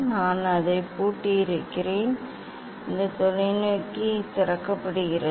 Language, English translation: Tamil, I have locked it and this telescope that is the unlock